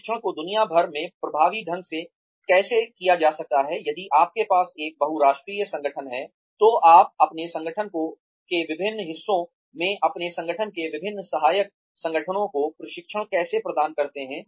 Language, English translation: Hindi, If you have a multinational organization, how do you deliver training to the different parts of your organization, to the different subsidiaries of your organization